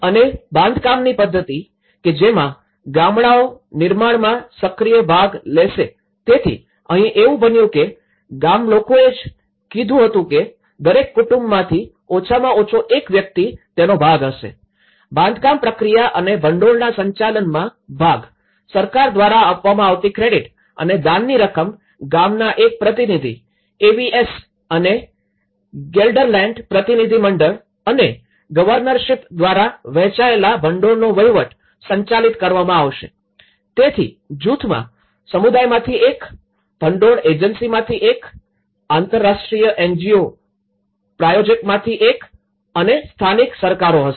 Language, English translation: Gujarati, And the method of construction, that the villages would take an active part in the construction so, here what happened was the villagers they also said that at least each family one person has to be part of it, the part of the construction process and management of the fund, the credits given by the government and those from the donations would be managed by the shared fund administration of one representative from the villager AVS and the Gelderland delegation and the governorship so, there is a group of one from the community, one from the funding agency, one from the international NGO sponsor and the local governments